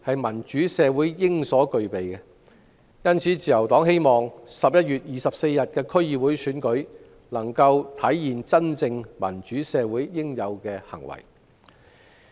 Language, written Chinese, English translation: Cantonese, 民主社會應有公平公正的選舉，因此，自由黨希望11月24日的區議會選舉能夠體現民主社會應有的行為。, A democratic society should have fair and just elections; thus the Liberal Party hopes that DC Election on 24 November can manifest the behaviour expected of in a democratic society